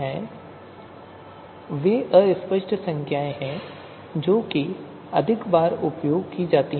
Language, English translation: Hindi, So the triangular fuzzy numbers are the one which have been used more often